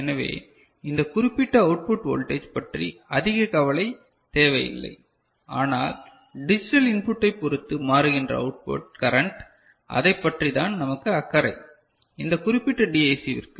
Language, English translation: Tamil, So, this is this particular output voltage is not of much concern, but the output current that is varying, because of the digital input ok, that is of importance for this particular DAC ok